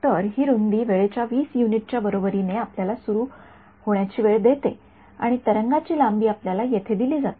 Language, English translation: Marathi, So, this width is equal to 20 time units is giving you the turn on time of the source and the wave length is given to you over here